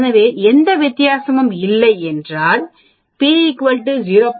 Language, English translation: Tamil, So if there is no difference p is less than 0